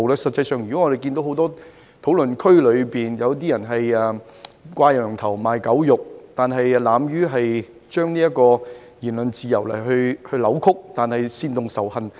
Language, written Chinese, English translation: Cantonese, 實際上，我們發現很多討論區皆屬"掛羊頭賣狗肉"，扭曲言論自由以煽動仇恨。, In fact it has come to our attention that quite a number of online discussion fora are crying up wine but selling vinegar and inciting hatred by distorting the principle of freedom of speech